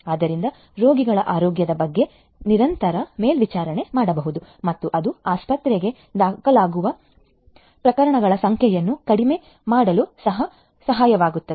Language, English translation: Kannada, So, that continuous monitoring of patients health can be done and this can also help in reducing the number of cases of hospitalization